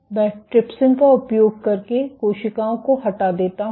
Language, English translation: Hindi, I remove the cells using trypsin